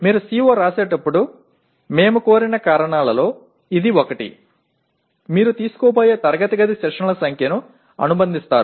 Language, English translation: Telugu, That is one of the reasons why we requested when you write a CO you associate the approximate number of classroom sessions you are going to take